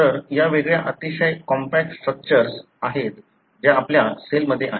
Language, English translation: Marathi, So these are distinct, very compact structures that are present in our cell